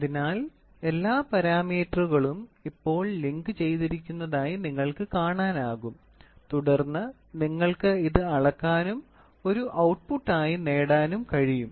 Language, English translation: Malayalam, So, you can see all the parameters are now linked and then you can measure this, you can measure this and then you can get this as an output